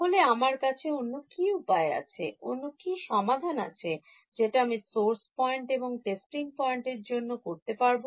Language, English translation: Bengali, So, what is my sort of alternate, what is the solution that I will do for source points and testing points